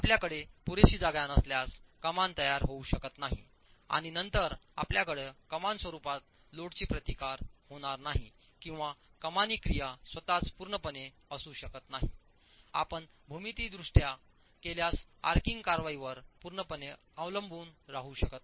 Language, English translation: Marathi, If you don't have sufficient space, the arch cannot form and then you will not have load being resisted in the form of an arch or the arching action itself cannot be fully, you can't fully depend on the arching action in case geometrically you don't have the sort of a configuration